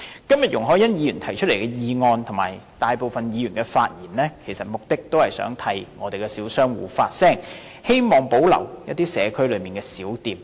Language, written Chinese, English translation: Cantonese, 今天容海恩議員提出的議案，以及大部分議員的發言，目的也是想替小商戶發聲，希望保留社區內的小店。, Today the motion proposed by Ms YUNG Hoi - yan as well as the remarks made by most Members aim to speak up for the small shop tenants hoping that small shops can be preserved in the communities